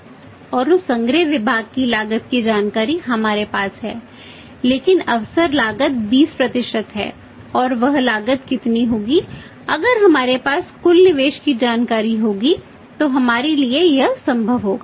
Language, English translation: Hindi, And that same collection cost departments cost information is with us but the opportunity cost is 20% and how much would be that cost that will only be possible possible for us to work out if we have the total investment information with us